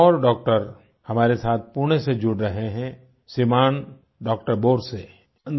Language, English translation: Hindi, Another doctor joins us from Pune…Shriman Doctor Borse